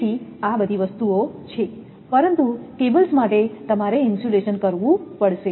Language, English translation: Gujarati, So, this is the thing, but for cables you have to have insulations